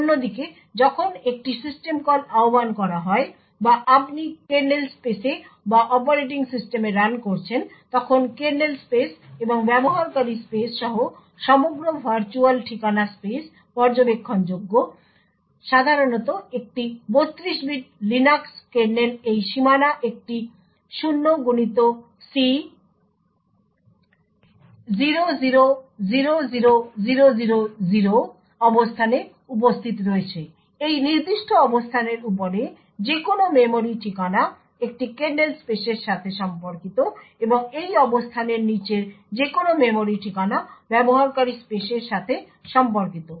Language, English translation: Bengali, On the other hand when a system call is invoked or you are running in the kernel space or in the operating system the entire virtual address space including that of the kernel space plus that of the user space is observable, typically in a 32 bit Linux kernel this boundary is present at a location 0xC0000000, any memory address above this particular location corresponds to a kernel space and any memory address below this location corresponds to that of a user space